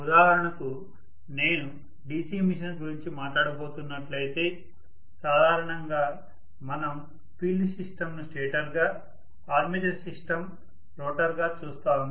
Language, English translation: Telugu, For example, if I am going to talk about DC machine, normally we will see the field system to be the stator, armature system to be the rotor